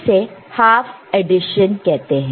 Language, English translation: Hindi, This is half addition